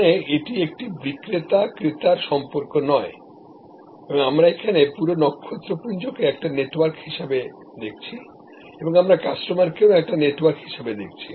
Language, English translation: Bengali, So, even here there is not a supplier buyer relationship, we are looking at the whole constellation as a network and we are looking at the customers also as a network